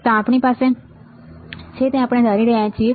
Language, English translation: Gujarati, This is what we have we are assuming